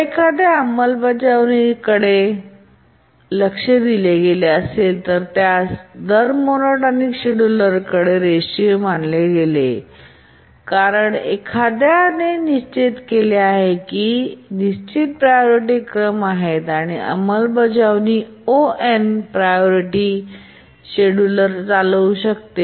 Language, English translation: Marathi, If you look at the implementation aspects that we are considering, it's linear for rate monotonic schedulers because if you remember, it said that there are fixed priorities and then the implementation that we had, we could run the scheduler in O 1 priority